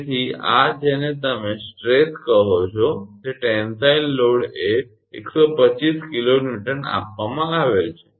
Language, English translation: Gujarati, So, this one what you call stress a tensile load is given 125 kilo Newton